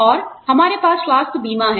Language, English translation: Hindi, And, we have health insurance